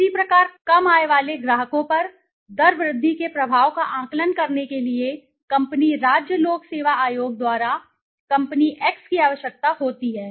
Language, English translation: Hindi, Similarly company X is required by its state public service commission to assess the impact of a rate increase on low income customers